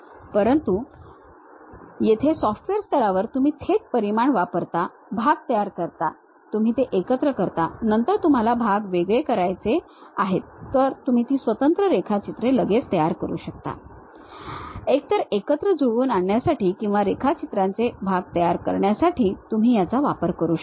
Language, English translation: Marathi, But here at the software level you straight away use dimensions create part, you assemble it, then you want to really separate the parts, you can straight away construct those individual drawings, either for assembly or for part drawings you can make